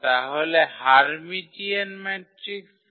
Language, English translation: Bengali, So, what is the Hermitian matrix